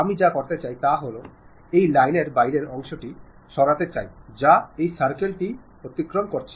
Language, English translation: Bengali, What I want to do is I would like to remove this outside part of this line which is exceeding that circle